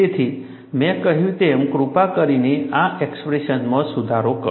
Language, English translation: Gujarati, So, as I mentioned, please make the correction in this expression